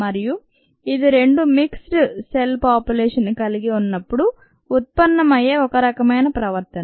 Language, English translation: Telugu, and this is what, ah, this is a kind of behavior that arises when you have a mixed population of two different cell types